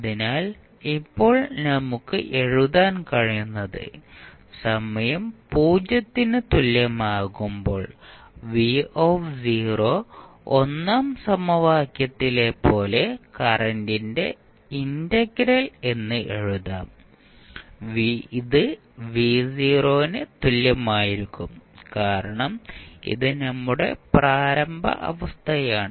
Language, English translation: Malayalam, So, now what we can write at time t is equal to 0 v not v0 can be written as 1 upon c integral minus infinity to 0 I dt and that will be equal to v not because this is our initial condition